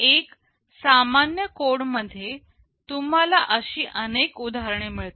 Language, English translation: Marathi, In a general code you will find many such instances